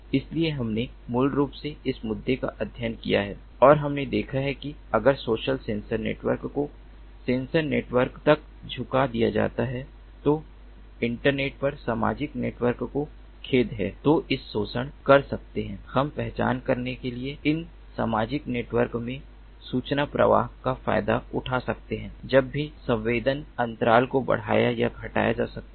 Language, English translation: Hindi, so we basically studied this issue and we have seen that if the social ah sensor networks are hooked up to the sensor networks sorry, social networks over the internet, then we can exploit, we can exploit the information flow in these social networks to identify whether the sensing interval can be increased or decreased